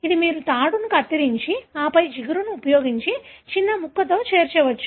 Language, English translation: Telugu, It is something like, you are able to cut a rope and then join with a small piece using glue